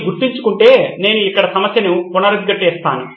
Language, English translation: Telugu, So if you remember I will reiterate the problem right here